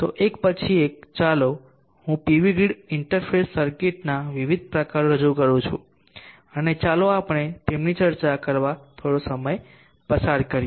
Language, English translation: Gujarati, So one by one let me introduce the different types of pv grid interface circuits and let us spend some time discussing that